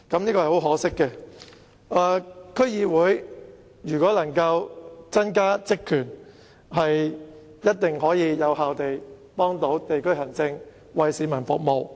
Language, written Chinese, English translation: Cantonese, 如果區議會能夠增加職權，一定可以更有效地幫助地區行政，為市民服務。, If more powers are given to DCs I trust they can definitely assist in district administration in a more effective manner and serve the public